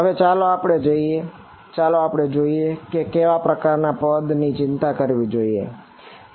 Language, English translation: Gujarati, Now, let us go back and see what is the kind of term that we have to worry about right